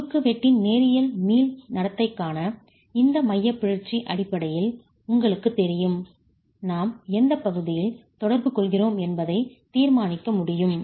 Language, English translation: Tamil, And as you know, based on this eccentricity for a linear elastic behavior of a cross section, it is possible for us to determine in which part of the interaction we are in